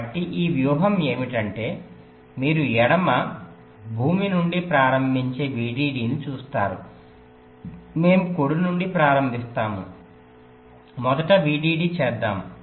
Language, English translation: Telugu, so this charting is that you see, vdd, you start from left ground, we start from right